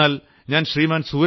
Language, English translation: Malayalam, A young man Mr